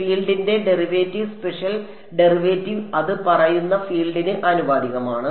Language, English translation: Malayalam, Derivative spatial derivative of the field is proportional to the field that is what it is saying right